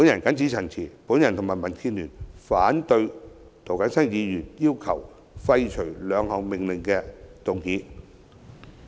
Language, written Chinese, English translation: Cantonese, 謹此陳辭，我和民建聯反對涂謹申議員要求廢除兩項命令的擬議決議案。, I so submit and oppose along with DAB Mr James TOs proposed resolutions to repeal the two Orders